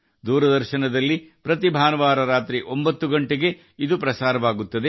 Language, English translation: Kannada, It is telecast every Sunday at 9 pm on Doordarshan